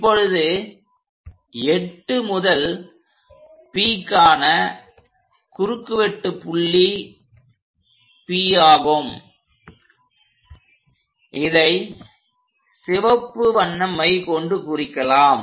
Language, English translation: Tamil, Now the intersection points for 8 to P is P, so let us use red color ink